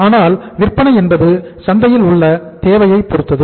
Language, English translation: Tamil, But selling depends upon the demand in the market